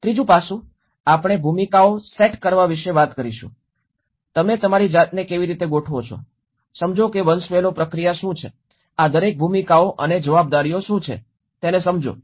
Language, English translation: Gujarati, Third aspect we talk about the set up the roles, how you organize yourself, understand what is a hierarchical process, what is the understand each of these roles and responsibilities